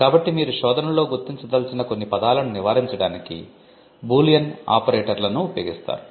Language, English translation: Telugu, So, you would use Boolean operators to avoid certain words which you do not want to figure in the search